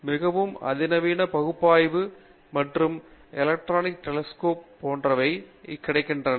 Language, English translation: Tamil, And there are extremely sophisticated analysis and visualization tools, electron microscopy etcetera that have now become available